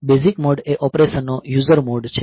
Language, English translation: Gujarati, The basic mode is the user mode of operation